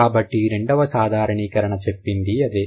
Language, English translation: Telugu, So, that's what says the second generalization